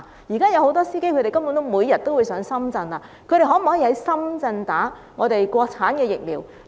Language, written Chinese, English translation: Cantonese, 目前很多司機每天前往深圳，他們可否在深圳接受國產疫苗注射？, Currently many drivers are travelling to Shenzhen on a daily basis . Is it possible for them to be administered China - made vaccines in Shenzhen?